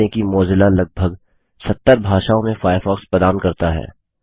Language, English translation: Hindi, Notice that Mozilla offers Firefox in over 70 languages